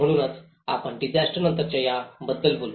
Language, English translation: Marathi, So that is where, we talk about these post disaster